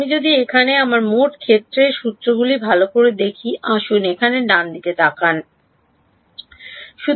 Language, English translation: Bengali, If I look at my total field formulation over here well let us look at the right hand side over here right